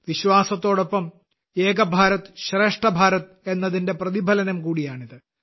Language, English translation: Malayalam, Along with inner faith, it is also a reflection of the spirit of Ek Bharat Shreshtha Bharat